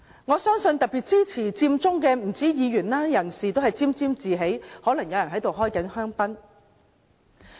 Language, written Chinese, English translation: Cantonese, 我相信不單是議員，支持佔中的人都沾沾自喜，可能有人正在開香檳。, I believe not only Members supporters of Occupy Central also take pleasure in this perhaps some are drinking champagnes for this